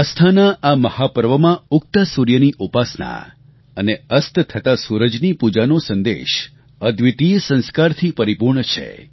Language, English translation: Gujarati, In this mega festival of faith, veneration of the rising sun and worship of the setting sun convey a message that is replete with unparalleled Sanskar